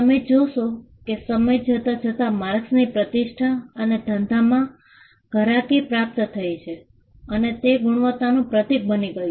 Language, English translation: Gujarati, You will see that, marks over a period of time gained reputation and goodwill and it become a symbol and it became a symbol of quality